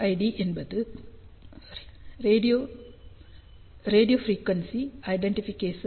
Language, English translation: Tamil, RFID stands for radio frequency identification